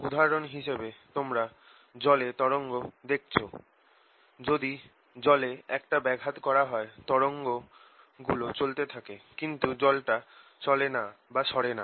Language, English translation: Bengali, for example, you have seen water waves where, if i make disturbance, the travels out, but we don't see water going out